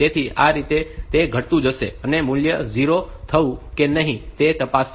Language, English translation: Gujarati, So, this way it will go on decrementing and checking whether the value has become 0 or not